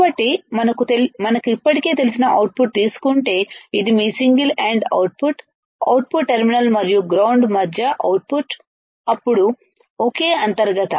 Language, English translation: Telugu, So, if the output is taken like this which we already know like this right, then it is your single ended output, output between the output terminal and the ground and the ground, then is single internal